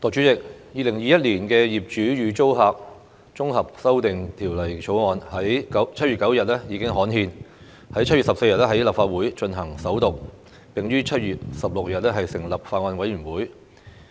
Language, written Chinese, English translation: Cantonese, 代理主席，《2021年業主與租客條例草案》在7月9日已經刊憲 ，7 月14日在立法會進行首讀，並於7月16日成立法案委員會。, Deputy President the Landlord and Tenant Amendment Bill 2021 the Bill was gazetted on 9 July and first read in the Legislative Council on 14 July and a Bills Committee was formed on 16 July